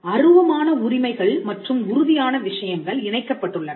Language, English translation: Tamil, Now, intangible rights and tangible things are connected